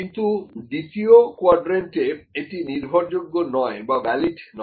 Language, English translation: Bengali, So, in quadrant number 2, it is unreliable and un valid